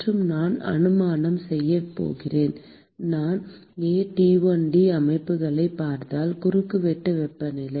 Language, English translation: Tamil, And I am going to make an assumption; because I am looking aT1D systems, I am making an assumption that the Cross sectional temperature